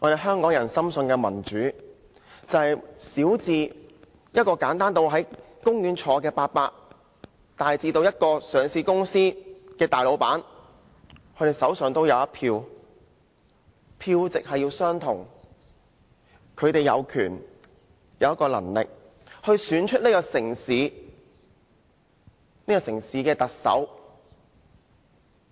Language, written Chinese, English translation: Cantonese, 香港人深信的民主，便是小至一位坐在公園的長者，大至上市公司的老闆，各人手上均有一票，票值相同，他們有權利、有能力選出這個城市的特首。, According to the democracy upheld by the people of Hong Kong everyone from the lowest like the old man sitting in the park to the greatest like the owner of a listed company will have a vote of the same value and they have the right and ability to choose the Chief Executive of this city